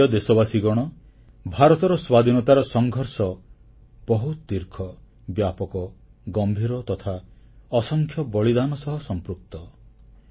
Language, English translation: Odia, The history of India's struggle for independence is very long, very vast and is filled with countless sacrifices